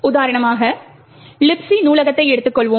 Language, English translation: Tamil, Let us take for example the library, the Libc library